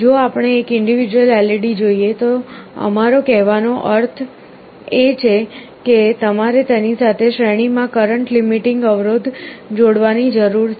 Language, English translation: Gujarati, If we look at one individual LED, what we mean to say is that you need to have a current limiting resistance connected in series to it